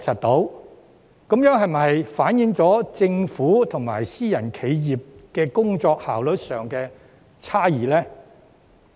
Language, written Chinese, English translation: Cantonese, 這是否反映政府與私人企業在工作效率上存在差異？, Does this reflect a difference in efficiency between the Government and private enterprises?